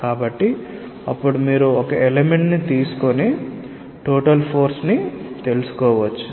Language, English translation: Telugu, So, then you can find out the total force by taking an element